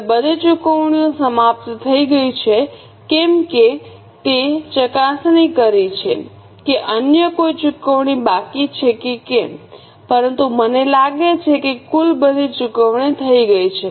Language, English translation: Gujarati, Now, since all payments are over, check whether any other payment is left but I think all are done